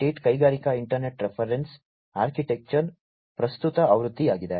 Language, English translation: Kannada, 8 is the current version of the Industrial Internet Reference Architecture